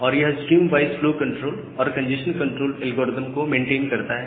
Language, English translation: Hindi, And it maintains the stream wise flow control and a congestion control algorithm